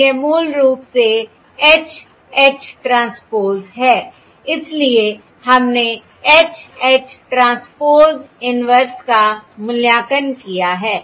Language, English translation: Hindi, This is basically H H transpose inverse